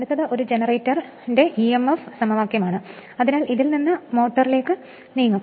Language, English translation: Malayalam, Next is emf equation of a generator, so from that we will move to motor